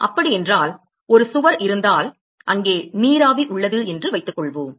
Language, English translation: Tamil, So, supposing if there is a wall which is located and there is let us say vapor which is present